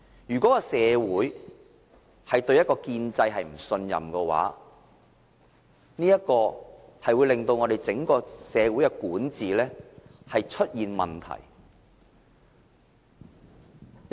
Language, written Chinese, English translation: Cantonese, 如果社會對建制不信任的話，便會令整個社會的管治出現問題。, If the society at large does not trust the establishment then difficulties in its governance will arise